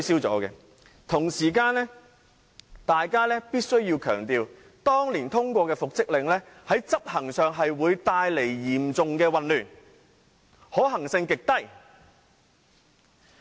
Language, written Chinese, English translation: Cantonese, 我必須強調，當年通過的復職令，在執行上會嚴重混亂，極難執行。, I must stress that the order for reinstatement approved then would lead to serious confusion and could hardly be enforced